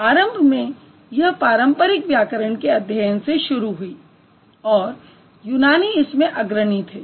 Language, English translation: Hindi, So initially it started as a traditional grammar studies and the Greeks were the pioneers